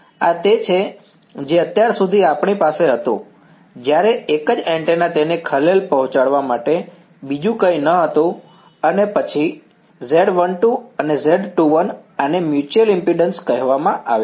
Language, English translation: Gujarati, This is what we had so far when there was a single antenna nothing else to disturb it and then Z 2 1 Z 1 2 these are called the mutual impedances